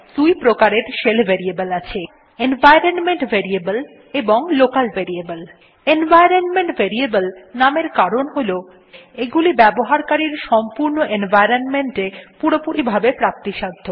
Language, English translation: Bengali, There are mainly two kinds of shell variables: Environment Variables and Local Variables Environment variables, named so because they are available entirely in the users total environment